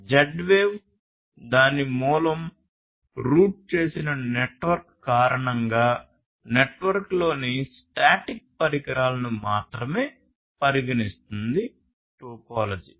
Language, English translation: Telugu, So, Z wave considers only static devices in the network due to its source routed network topology